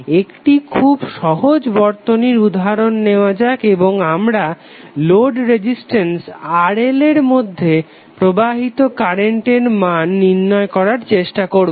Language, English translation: Bengali, Let us take one simple circuit and we will try to find out the value of current flowing through the load Resistance RL